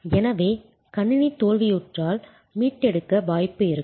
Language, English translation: Tamil, So, if the system fails then will there be a possibility to recover